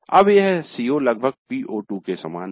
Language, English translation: Hindi, Now this COO is almost like PO2